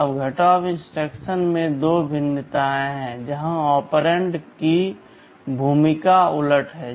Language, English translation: Hindi, Now, there are two variation of the subtract instructions, where the role of the operands are reversed